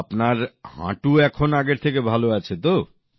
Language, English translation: Bengali, So now your knee is better than before